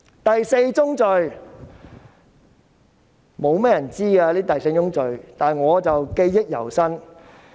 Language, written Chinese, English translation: Cantonese, 第四宗罪。雖然不多人知悉，但我記憶猶新。, As for the fourth sin although not many people are aware of this incident it remains fresh in my memory